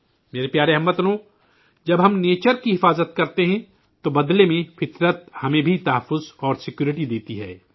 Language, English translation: Urdu, when we conserve nature, in return nature also gives us protection and security